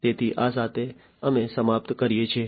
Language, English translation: Gujarati, So, with this we come to an end